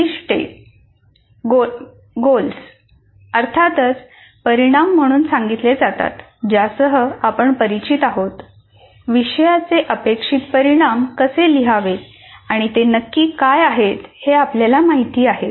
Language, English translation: Marathi, Goals are stated as course outcomes with which we are familiar, how to write course outcomes and what exactly they are